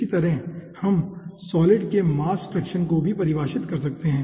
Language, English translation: Hindi, in a similar fashion we can define the mass fraction of the solid